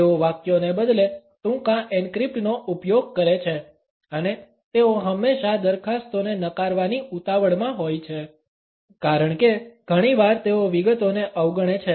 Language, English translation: Gujarati, The sentences they use a rather short encrypt and they are always in a hurry to reject the proposals because often they tend to overlook the details